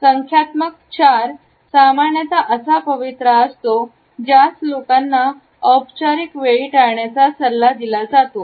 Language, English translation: Marathi, Numerical 4 is normally the posture which people are advised to avoid during formal situations